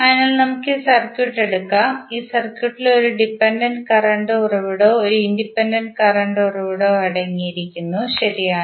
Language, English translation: Malayalam, So, let us take this circuit, this circuit contains one dependent current source and one independent current source, right